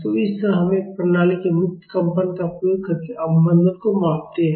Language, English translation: Hindi, So, this is how we measure the damping of a system using its free vibrations